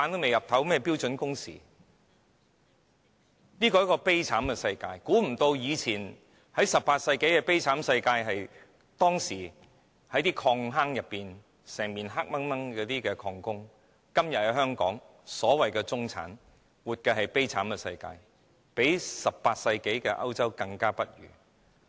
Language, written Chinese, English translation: Cantonese, 現時的香港是一個悲慘世界 ，18 世紀的歐洲是一個悲慘世界，當時的礦工整年在漆黑的礦坑內工作，而香港的所謂"中產"今天也活在悲慘世界裏，比18世紀的歐洲更不堪。, Todays Hong Kong is so miserable . Europe in its 18 century was miserable when mineworkers had to work inside the dark mine shafts for the whole year . The so - called middle class in nowadays Hong Kong is also miserable even worse than those workers in the 18 century Europe but they have to endure the sufferings quietly